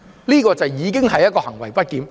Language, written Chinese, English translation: Cantonese, 這個行為已經是行為不檢。, Such an act itself is a misbehaviour